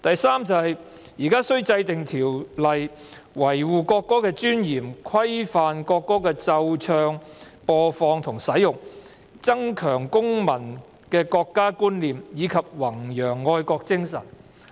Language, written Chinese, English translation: Cantonese, "3 現須制定條例維護國歌的尊嚴，規範國歌的奏唱、播放和使用，增強公民的國家觀念，以及弘揚愛國精神"。, 3 An Ordinance is to be enacted to preserve the dignity of the national anthem to regulate the playing and singing the broadcast and the use of the national anthem to enhance citizen awareness of the Peoples Republic of China and to promote patriotism